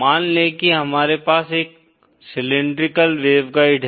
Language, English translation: Hindi, Say we have what we call a cylindrical waveguide